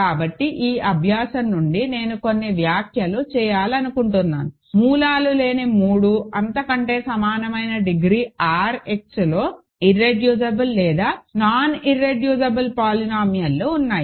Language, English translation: Telugu, So, just couple of remarks I want to make coming from this exercise; there do exist non irreducible or reducible polynomials in R X of degree greater than equal to 3 which have no roots